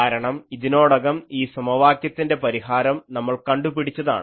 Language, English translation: Malayalam, So, this needs to be solved, but you know this, already we have solved this equation earlier